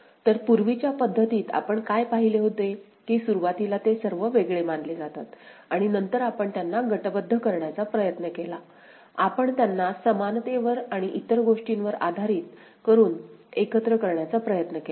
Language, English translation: Marathi, So, in the earlier method, what we had seen that initially they are all considered separate and then, we tried to group them ok, we tried to pool them based on equivalence and all